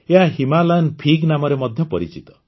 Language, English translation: Odia, It is also known as Himalayan Fig